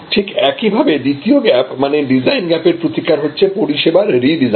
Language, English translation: Bengali, The remedy for the second gap, which is the design gap, is to redesign the service process